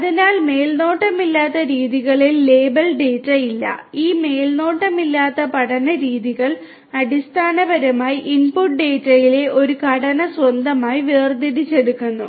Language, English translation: Malayalam, So, there is no you know there is no label data in unsupervised methods and these unsupervised learning methods basically extract a structure of the structure in the input data on their own